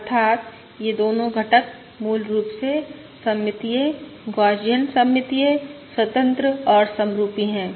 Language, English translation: Hindi, That is, both the components are basically symmetric, Gaussian, symmetric, independent and identical